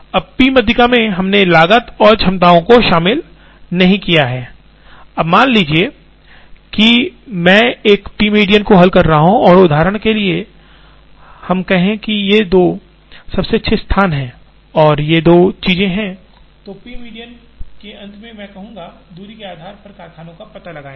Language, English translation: Hindi, Now, in the p median, we have not included cost and capacities, now suppose I solve a p median and for example, let us say these are the two best locations and these two are the things then at the end of p median I would say, locate factories here based on distance